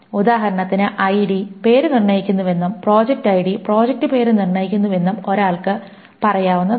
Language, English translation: Malayalam, For example, one may say that ID determines name and project ID determines project name